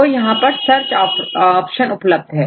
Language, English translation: Hindi, So, here this is the search option available